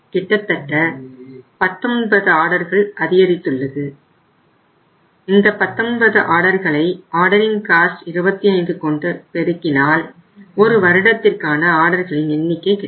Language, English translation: Tamil, So almost there is a 19 orders have increased and when 19 orders will increase multiplying it by 25 so it means your ordering cost will increase